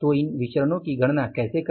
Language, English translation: Hindi, So how to calculate these variances